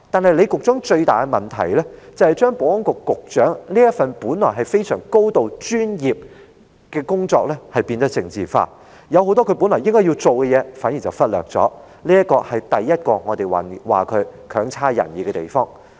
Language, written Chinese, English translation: Cantonese, 而李局長最大的問題，是把保安局局長這份本來高度專業的工作變得政治化，反而忽略了很多他本來要處理的事情，這是我們認為他的第一個表現差劣的地方。, However the biggest problem with Secretary LEE is that he has politicized this supposedly highly professional position of S for S and instead overlooked many things that he should have dealt with . This is in our view the first symptom of his poor performance